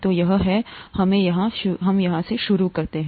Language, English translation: Hindi, So this, let us start here